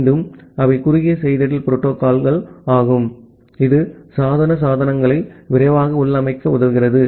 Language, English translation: Tamil, Again they are short messaging protocol which helps faster configuration of the device devices